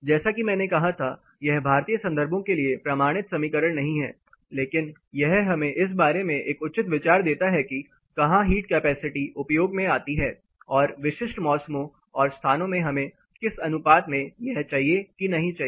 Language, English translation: Hindi, As I said this is not a prissily validated equation for Indian contexts, but it is gives us a fair idea about where thermal capacity or the heat capacity comes to use and to what proportion we need or we do not need in specific seasons and locations